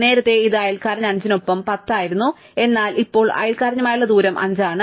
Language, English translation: Malayalam, Earlier it was a distance 10 with neighbour 5, but now it is a distance 5 with neighbour 6